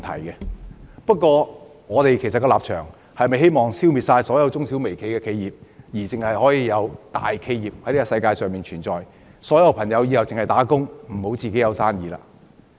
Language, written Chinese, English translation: Cantonese, 然而，我們是否希望消滅世界上所有中小微企而只容許大企業存在，或日後所有人都要打工而不要自己做生意呢？, Do we wish to eliminate all MSMEs in the world and only allow large enterprises to exist? . Or will people prefer working as employees to starting their own business in the future?